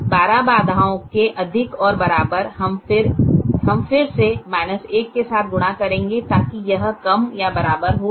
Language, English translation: Hindi, the greater than equal to twelve constraint, we will again multiply with the minus one so that it becomes less or equal to